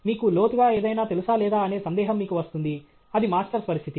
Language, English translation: Telugu, You are having a doubt whether you know anything deep or not that is the situation of Masters